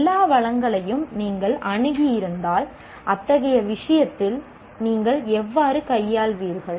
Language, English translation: Tamil, If you had access to all resources, how do you deal with such and such a thing